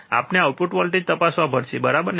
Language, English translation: Gujarati, We have to check the output voltage, right isn't it